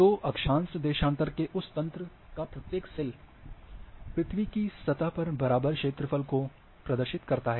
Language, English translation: Hindi, So, each cell of that grid of latitude longitude represents the equal area of the earth surface